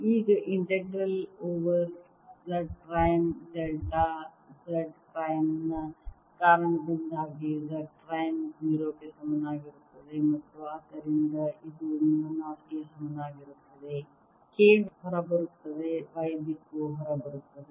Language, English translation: Kannada, now, the integral over z prime because of delta z prime gives me z prime equals zero and therefore this becomes equal to mu naught